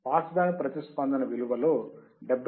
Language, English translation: Telugu, 7 percent from the pass band response right, 70